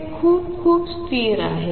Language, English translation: Marathi, They are very, very stable